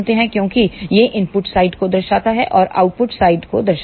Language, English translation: Hindi, Because, this represents the input side this represents the output side